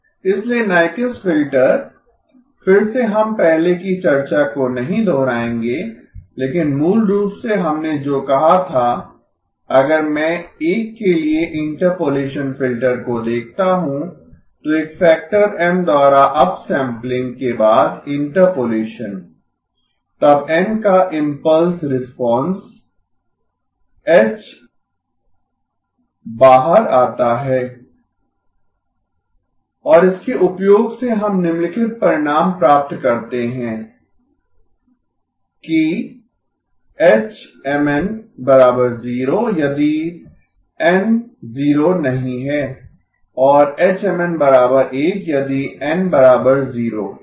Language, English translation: Hindi, So Nyquist filter again we will not repeat the earlier discussion but basically what we have said was if I look at the interpolation filter for a, interpolation after upsampling by a factor of M then the impulse response h of n comes out to be sin pi n by M by pi n by M and using this we get the following result that h of Mn equal to 0 if n not equal to 0, equal to 1 if n equal to 0 okay